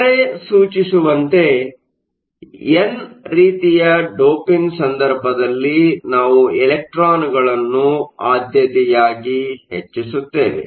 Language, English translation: Kannada, As the name implies, in the case of n type doping, we preferentially increase the number of electrons